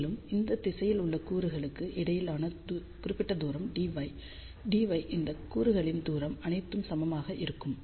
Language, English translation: Tamil, And, along this particular direction distance between the elements is dy dy all these elements have equal distance